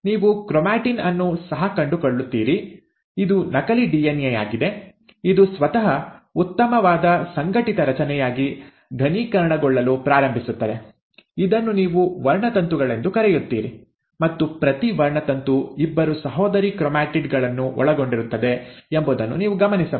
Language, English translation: Kannada, You also find that the chromatin, right, this is a duplicated DNA, starts condensing itself into a much better organized structure, which is what you call as the chromosomes, and you will notice that each chromosome is now consisting of two sister chromatids, which are held together at the centromere